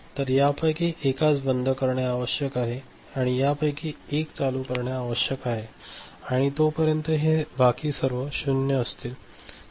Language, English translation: Marathi, So, one of them need to OFF and one of them need to be ON and as long as this is remaining at 0 and all